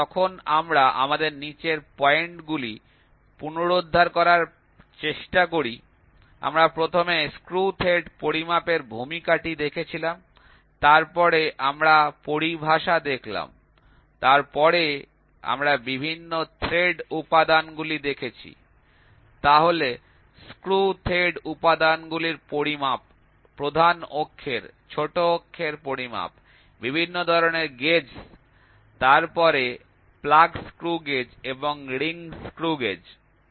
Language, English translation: Bengali, So, when we try to recap we have the following points, we first saw the introduction of measuring screw thread, then we saw terminologies, then we saw various thread elements, then measurement of screw thread elements, major axis minor axis measurement, type of gauges, then plug screw gauge and ring screw gauge